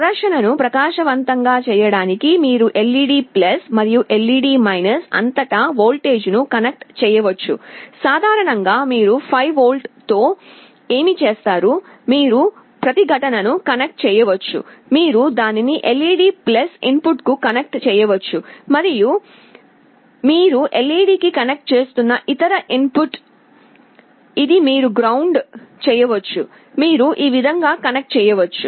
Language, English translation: Telugu, You can connect a voltage across LED+ and LED to make the display bright, typically what you do with 5V, you can connect a resistance, you can connect it to the LED+ input and the other input you are connecting to LED , this you can ground, this is how you can connect